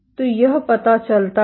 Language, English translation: Hindi, So, this suggests